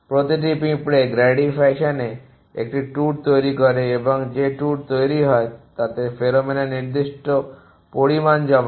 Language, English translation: Bengali, Each an constructs a tour in a Grady fashion and deposits certain want of pheromone on the tour it is created